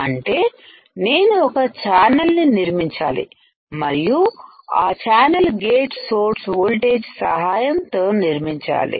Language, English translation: Telugu, So, I have to create a channel and that channel is created with a help of gate to source voltage, thus this bridge is created